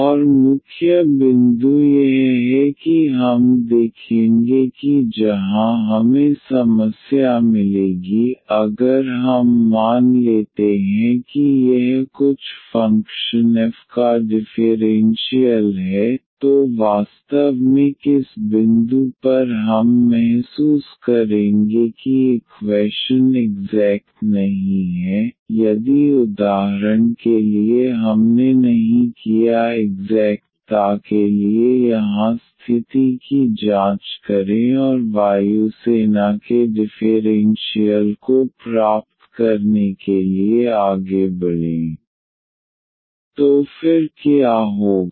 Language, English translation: Hindi, And the main point is we will see that where we will get the problem now if we assume that this is the differential of some function f, then exactly at what point we will realize that the equation is not exact, if for instance we did not check the condition here for the exactness and just proceed to get air force differential is given differential equation then what will happen